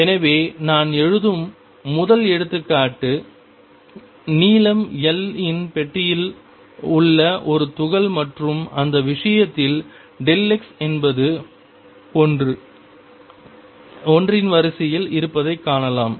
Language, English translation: Tamil, So, first example I take is this particle in a box of length L and you can see in this case delta x is of the order of L